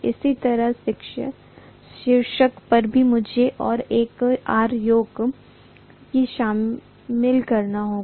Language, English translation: Hindi, Similarly, on the top also I have to include one more R yoke